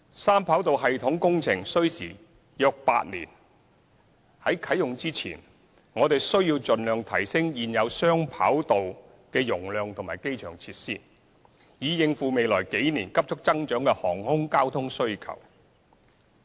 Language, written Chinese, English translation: Cantonese, 三跑道系統工程需時約8年，在三跑道系統啟用前，我們需要盡量提升現有雙跑道的容量及機場設施，以應付未來幾年急速增長的航空交通需求。, The three - runway system project will take about eight years to complete . Before the commissioning of the three - runway system we need to maximize the capacity of the current two - runway system and upgrade airport facilities so as to cope with the rapidly growing air traffic demand in the next few years